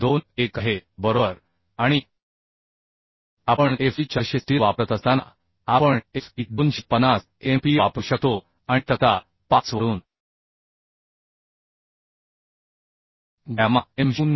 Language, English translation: Marathi, 21 right and as we are using Fe400 steel we can use Fy as 250 and gamma m0 from table 5114 we can find out 1